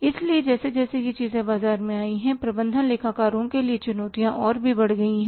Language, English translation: Hindi, So, as these things have come up in the markets, the challenges to the management accountants have also increased